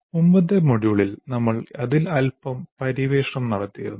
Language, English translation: Malayalam, We have explored a little bit in the earlier module